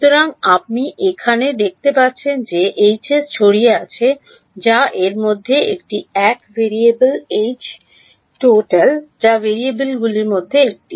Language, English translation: Bengali, So, here you can see H s is H scattered that is one of the variables H is H total that is one of the variables